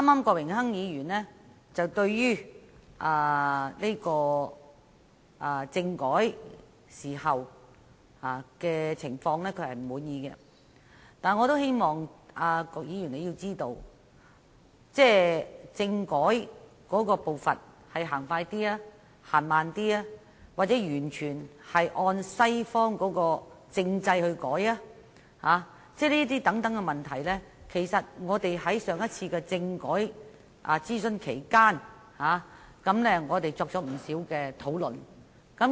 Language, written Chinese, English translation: Cantonese, 郭榮鏗議員剛才指他不滿意政改的情況，但我也希望郭議員知道，政改步伐的快慢、改革是否完全按照西方政制等問題在上次政改諮詢期間，我們已作出不少討論。, Mr Dennis KWOK pointed out earlier that he was dissatisfied with the development of constitutional reform but I hope he can understand that during the consultation on the constitutional reform proposal last time we had many discussions on the pace of constitutional reform and whether our constitutional reform should entirely follow the Western constitutional system